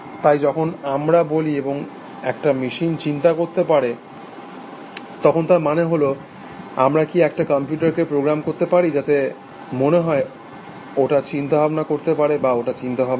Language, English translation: Bengali, So, when we say, can a machine think; then it means can we program a computer, so that it appears to be thinking or is thinking, as this